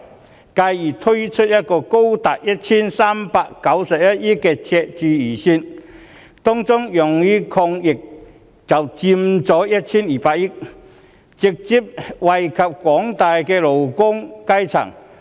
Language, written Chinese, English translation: Cantonese, 司長而更推出一個高達 1,391 億元的赤字預算，當中用於抗疫的款額就佔 1,200 億元，直接惠及廣大的勞工階層。, The Financial Secretary has even proposed a Budget with a high deficit of 139.1 billion among which 120 billion will be spent on anti - epidemic initiatives benefiting the general working class directly